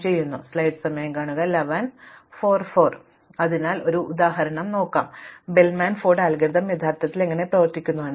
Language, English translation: Malayalam, So, let us look at an example and see how the Bellman Ford algorithm actually works